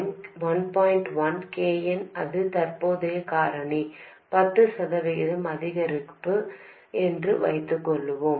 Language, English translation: Tamil, 1 times KM, that is the current factor has increased by 10%